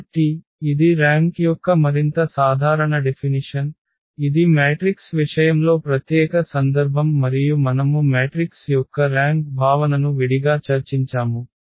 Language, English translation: Telugu, So, this is a more general definition of the rank which the in case of the matrix that is the special case and we have separately discussed the rank concept of the matrix